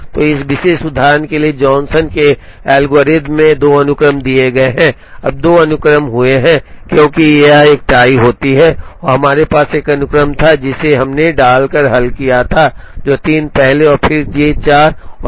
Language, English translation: Hindi, So, Johnson’s algorithm in this for this particular example gives 2 sequences, now 2 sequences happened, because of a tie occurring here and we had one sequence, which we resolved by putting, J 3 first and then J 4 and the other sequence by putting J 4 first and then J 3